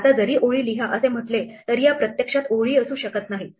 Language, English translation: Marathi, Now though it says write lines these may not actually be lines